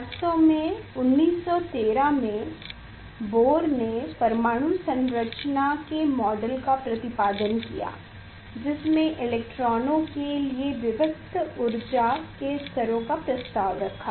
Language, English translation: Hindi, actually in 1913, Bohr proposed the model of atomic structure where discrete energy levels for accommodation of electrons were postulated